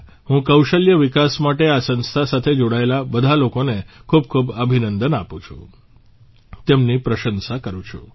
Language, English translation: Gujarati, I congratulate and appreciate all the people associated with this organization for skill development